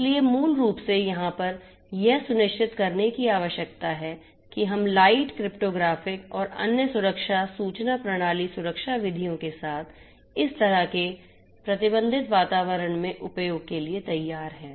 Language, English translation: Hindi, So, then so basically the essence over here is to ensure that we come up with lightweight cryptographic and other security information system security methods for use in this kind of constrained environments